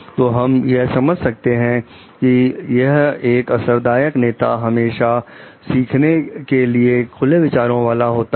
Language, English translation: Hindi, So, what we understand like effective leaders are always open to new ideas